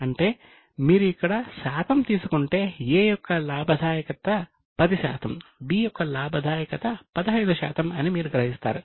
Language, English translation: Telugu, That means if you just take a percentage, here you will realize that profitability of A is 10% while profitability of B is 15%